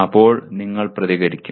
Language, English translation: Malayalam, Then you react